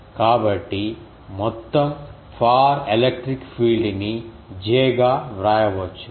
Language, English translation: Telugu, So, we can write the total far electric field as j